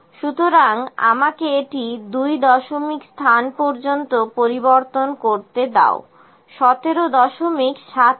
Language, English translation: Bengali, So, let me convert it into 2 decimal places 17